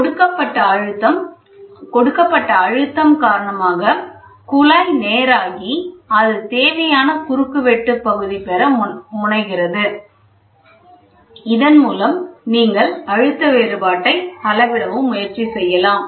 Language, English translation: Tamil, Due to the applied pressure, the tube straightens out and tends to acquire a required cross section area, with this you can also try to measure pressure difference